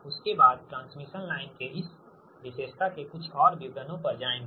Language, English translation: Hindi, after that will go to some more details of this characteristic of the transmission line, right